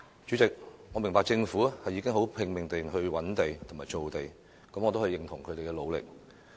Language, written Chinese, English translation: Cantonese, 主席，我明白政府已拼命覓地和造地，我也認同他們的努力。, President I understand that the Government has been exerting its utmost to identify sites and make land and I acknowledge its effort